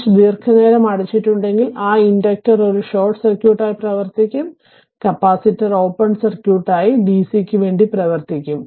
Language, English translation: Malayalam, If the switch is closed for long time, that inductor will behave as a short circuit and for the capacitor it will behave as a for dc that open circuit